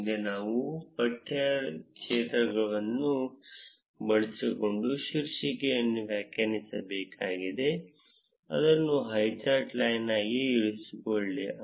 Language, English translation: Kannada, Next, we need to define the title using the text field, keep it as highcharts line